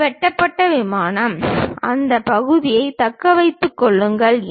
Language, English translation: Tamil, This is the cut plane; retain that part